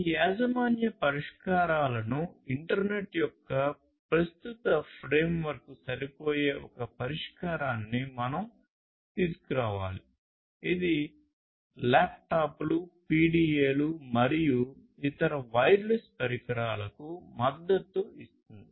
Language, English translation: Telugu, We need to come up with a solution which can fit these proprietary solutions to the existing framework of the internet; which is, which is already supporting laptops PDAs and different other wireless devices